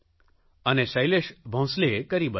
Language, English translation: Gujarati, And Shailesh Bhonsle proved it